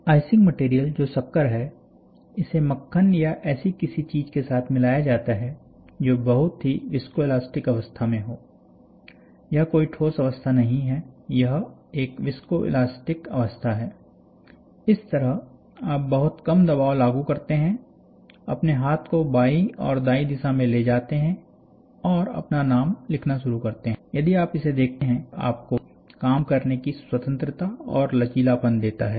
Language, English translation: Hindi, Icing material that is sugar; sugar powder which is mixed with some butter, or something which is in a very viscoelastic state, it is not a solid state it is a viscoelastic state such that, you apply a very small pressure, move your hand in left and right direction, whatever it is, and start writing your name